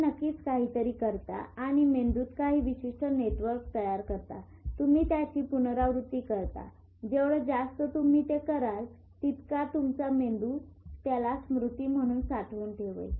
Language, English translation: Marathi, You do something, your network learns to do it, certain network in the brain, you repeat it, the more you do it the more your brain will keep it as a memory